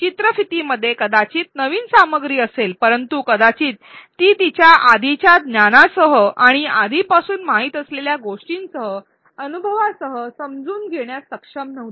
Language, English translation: Marathi, While the video may have had new content perhaps she was not able to integrate it with her prior knowledge and experiences with things that she already knew